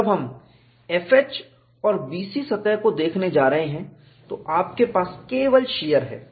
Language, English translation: Hindi, When we are going to look at the surface F H and B C, you are having only shear